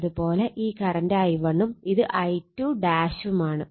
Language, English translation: Malayalam, So, this is I 2 and at this N 2